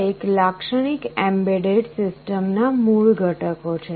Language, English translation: Gujarati, These are the basic components of a typical embedded system